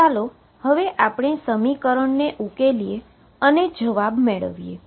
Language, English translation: Gujarati, Now, let us solve the equations and get our answers